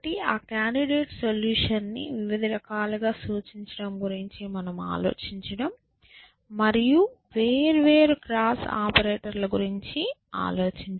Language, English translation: Telugu, Can we think of a different representation of that candidate solution, and can we think of different operators essentially, different cross operators